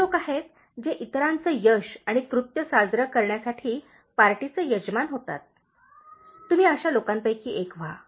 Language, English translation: Marathi, There are people, who host parties to celebrate others’ success and achievements; you be one of those kinds of people